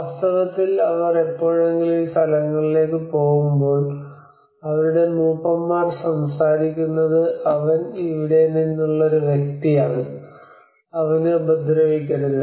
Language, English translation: Malayalam, So in fact when they ever happen to go to these places their elders speak do not mind this person he is from here do not harm him